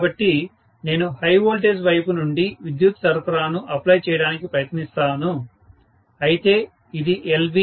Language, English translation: Telugu, So, I would try to apply the power supply from the high voltage side, whereas this is LV, why so